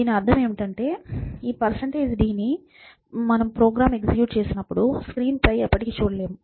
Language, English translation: Telugu, So, if you look at this percentage d and if you run this program, you will never see this percentage d on the screen